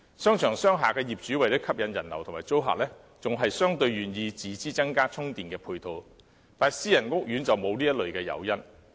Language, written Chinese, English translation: Cantonese, 商場和商廈的業主為了吸引人流及租客，相對願意自資增加充電配套，但私人屋苑則沒有這類誘因。, In order to attract more people and tenants the owners of shopping malls and commercial buildings are more willing to install more charging facilities with their own money . But there is no such incentive for private housing estates